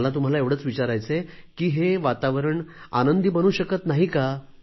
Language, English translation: Marathi, So I just want to ask you this, can't this be transformed into a pleasant atmosphere